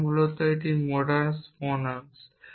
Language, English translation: Bengali, So, I can using modus ponens